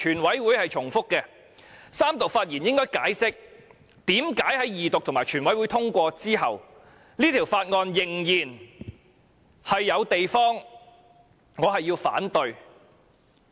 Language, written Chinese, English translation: Cantonese, 我在三讀發言應該解釋，為何在二讀和全體委員會通過後，《條例草案》仍然有我反對的地方。, I should explain during the Third Reading why I oppose the Bill after it has passed in the Second Reading and Committee stage of the whole Council